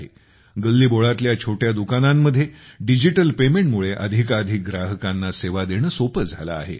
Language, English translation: Marathi, In the small street shops digital paymenthas made it easy to serve more and more customers